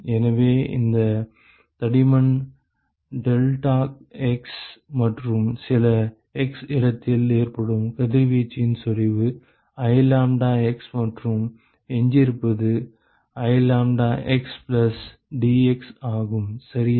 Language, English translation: Tamil, So, if this thickness is deltax and if the intensity of radiation that occurs at some x location is I lambdax and what leaves is I lambda x plus dx ok